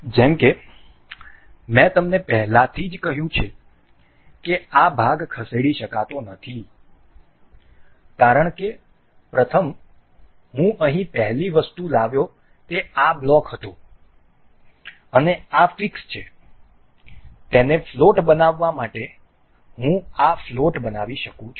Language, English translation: Gujarati, As we have, as I have already told you this part cannot be moved because on the first, the first item that I brought here was this block and this is fixed to make this float I can make this float